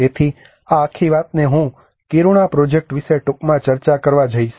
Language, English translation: Gujarati, So this whole thing I am going to discuss briefly about the Kiruna project